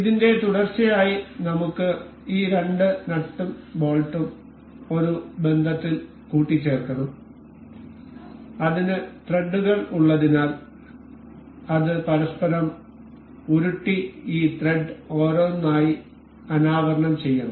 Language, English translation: Malayalam, In continuation with this we can we need we should assemble these two nut and bolt in a relation that it should because it had threads it should roll over each other and uncover this thread one by one